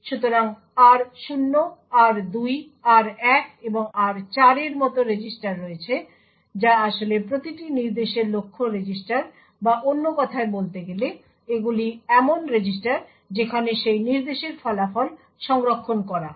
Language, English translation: Bengali, So there are like the registers r0, r2, r1 and r4 which are actually the target registers for each instruction or in other words these are the registers where the result of that instruction is stored